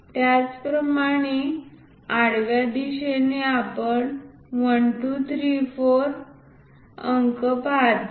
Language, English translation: Marathi, Similarly, in the horizontal direction we see numerals 1, 2, 3 and 4